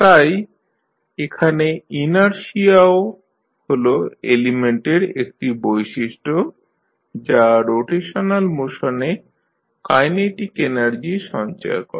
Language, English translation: Bengali, So, here also the inertia is the property of element which stores the kinetic energy of rotational motion